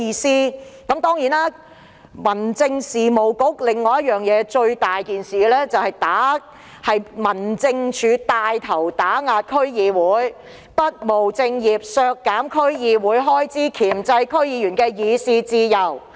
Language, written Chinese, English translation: Cantonese, 此外，民政事務局最嚴重的問題就是帶頭打壓區議會，不務正業，削減區議會開支，箝制區議員的議事自由。, Apart from that the biggest problem with the Home Affairs Bureau is that it does nothing but takes the lead to suppress the District Council DC cut its budget and limit its freedom of discussion